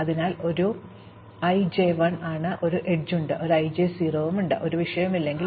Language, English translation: Malayalam, So, a i j is 1, there is an edge, a i j is 0, if there is no edge